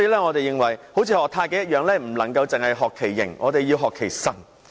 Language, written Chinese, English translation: Cantonese, 我認為好像學習太極般，我們不能只學其形，還要學其神。, As in the case of learning Taichi I think we should not merely learn the outward features but should also grasp the spirit of it